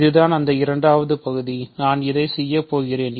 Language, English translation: Tamil, So, the second part that I will do now is that